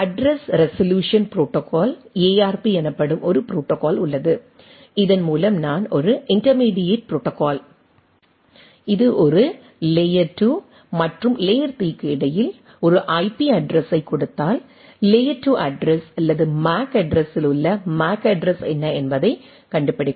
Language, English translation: Tamil, There is a protocol called address resolution protocol ARP by which, I this is a intermediate protocol what we say that between a layer 2 and layer 3 which given a IP address it find out what is the layer 2 address or the MAC address at the MAC address, so that it can be transferred to the next thing right